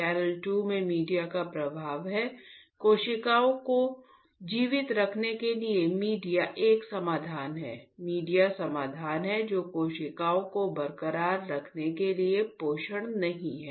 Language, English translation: Hindi, Channel 2 there is a flow of media, media is a solution to keep the cells alive, media is solution which not the nutritions to keep the cells intact